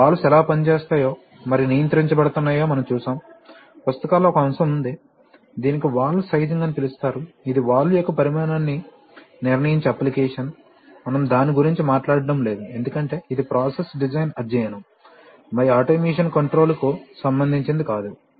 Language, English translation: Telugu, And we have seen how valves are actuated and controlled, there is one aspect which is treated in books, which is called valve sizing, that is for a given application determining the size of the valve, we have, we are not talking about that because this is essentially a process design exercise, and not does not concern automation control